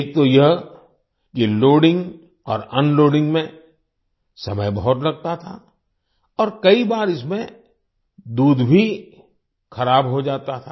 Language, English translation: Hindi, Firstly, loading and unloading used to take a lot of time and often the milk also used to get spoilt